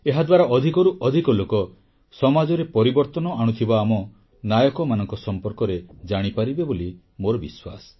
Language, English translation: Odia, I do believe that by doing so more and more people will get to know about our heroes who brought a change in society